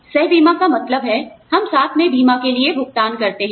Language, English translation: Hindi, Coinsurance means that, we pay for the insurance, together